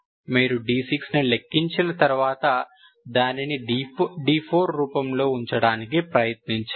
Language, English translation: Telugu, You try to calculate d 6 and put it in this form